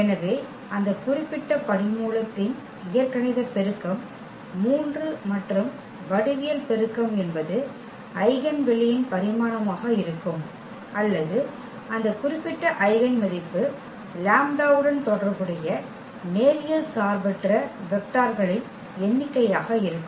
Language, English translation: Tamil, So, then it is algebraic multiplicity of that particular root is 3 and the geometric multiplicity will be the dimension of the eigenspace or the number of linearly independent vectors we have corresponding to that particular eigenvalue lambda